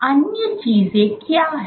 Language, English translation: Hindi, What are the other things